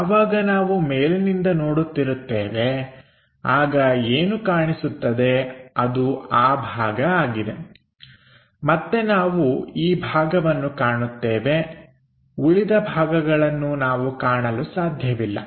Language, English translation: Kannada, So, when we are looking from top view what is visible is that portion, again we will see this portion the remaining portions we can not visualize